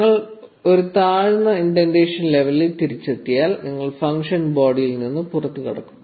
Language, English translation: Malayalam, Once you get back to a lower indentation level, you exit the function body